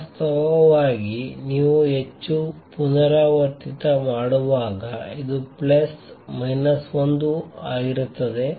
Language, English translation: Kannada, In fact, when you do the more recursive this is also comes out to be plus minus 1